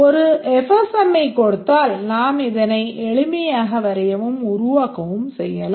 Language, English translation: Tamil, Given FSM we can easily draw this, develop this code